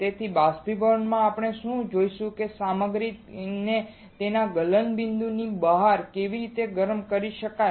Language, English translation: Gujarati, So, in evaporation we will see how we can heat the material beyond its melting point